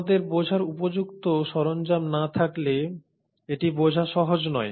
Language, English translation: Bengali, And itÕs not easy to understand unless we have appropriate tools at our disposal